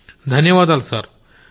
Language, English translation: Telugu, I thank you sir